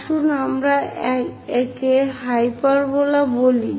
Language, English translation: Bengali, Let us call hyperbola